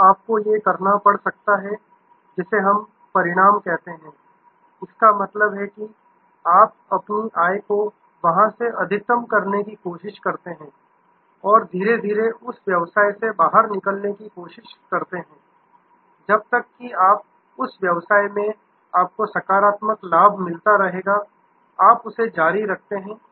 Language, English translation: Hindi, Then, these you may have to, what we call harvest; that means you try to maximize your income from there and try to slowly get out of that business as long as keeps continuing to give you positive return you be in that business